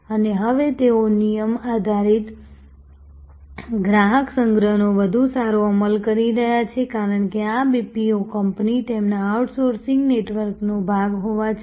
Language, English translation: Gujarati, And now, they are now having much better execution of rule based customer collection, because even though this BPO company is part of their outsourcing network